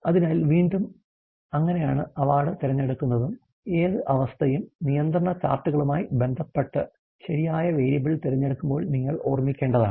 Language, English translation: Malayalam, So, that is again how the choice of award of that is again what condition, you should sot of keep in mind while choosing the right variable associated with the control charts